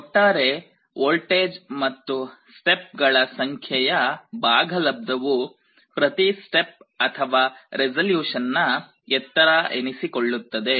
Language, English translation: Kannada, So, the total voltage divided by the number of steps will be the height of every step or resolution